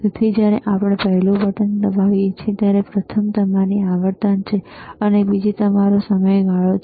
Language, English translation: Gujarati, So, when we press the first button, first is your frequency, and another one is your period